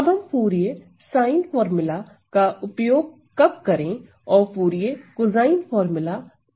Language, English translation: Hindi, Now, of course if I have so when to use the Fourier sine formula and when to use the Fourier cosine formula